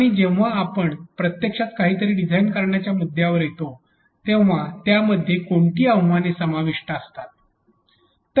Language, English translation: Marathi, And when we come to a point of actually designing something for that what are the challenges involved